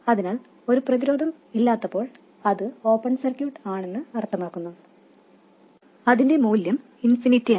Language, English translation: Malayalam, So, when a resistance is not there, meaning it is open circuited, its value is infinity